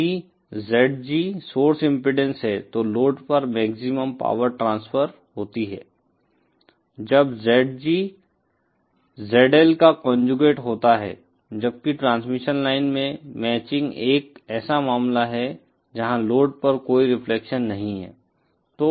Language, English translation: Hindi, If ZG is the source impedance, then maximum power will be transferred to the load when ZG is the conjugate of ZL, whereas matching in the transmission line sense is a case where there is no reflection on the load